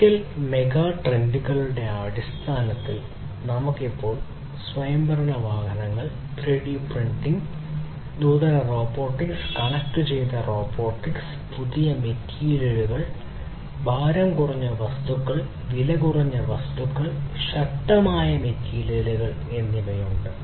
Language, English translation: Malayalam, So, in terms of the physical megatrends, we have now autonomous vehicles, 3D printing, advanced robotics, connected robotics, new materials, lightweight materials, cheaper materials, stronger materials and so on